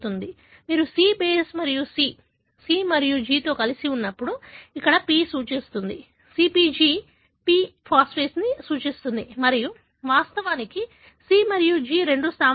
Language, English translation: Telugu, So, when you have C base and C, C and G together, the p here refers to, the CpG, the p refers to the phosphate and of course, C and G are the two bases